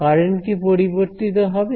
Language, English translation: Bengali, Will the currents change